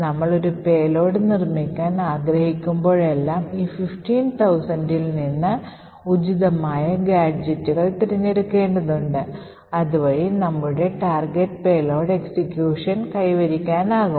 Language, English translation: Malayalam, Now whenever we want to build a payload, we need to select appropriate gadgets from these 15000 so that our target payload execution is achieved